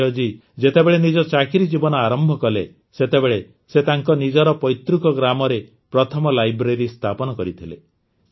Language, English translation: Odia, When Sanjay ji had started working, he had got the first library built at his native place